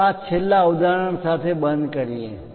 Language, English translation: Gujarati, Let us close this a session with last example